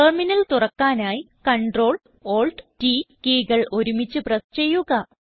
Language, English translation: Malayalam, Press CTRL, ATL and T keys simultaneously to open the Terminal